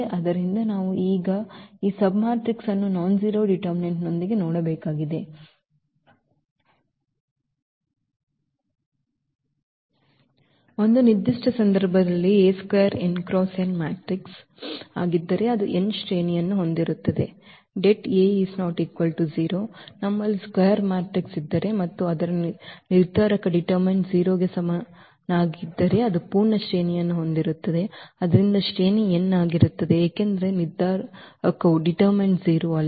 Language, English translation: Kannada, In a particular case when A is a square n cross n matrix it has the rank n, if the determinant A is not equal to 0 say if we have a square matrix and its determinant is not equal to 0 then it has a full rank, so the rank is n because determinant itself is not 0